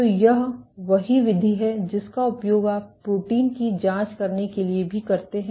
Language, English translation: Hindi, So, this is the same mode you also use for probing protein unfolding